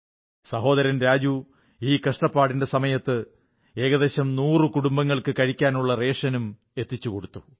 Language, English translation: Malayalam, In these difficult times, Brother Raju has arranged for feeding of around a hundred families